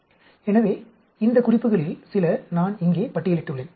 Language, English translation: Tamil, So, some of these references, and I have listed out here